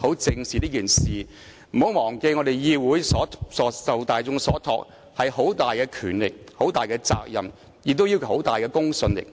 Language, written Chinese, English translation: Cantonese, 大家不要忘記，我們的議會受大眾所託，擁有很大的權力和責任，亦講求很大的公信力。, Members should not forget that this Council entrusted by the general public has substantial powers and responsibilities and should uphold high standards of credibility